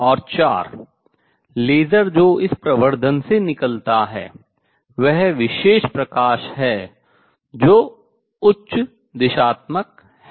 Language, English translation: Hindi, And four laser which comes out this amplification is special light that is highly directional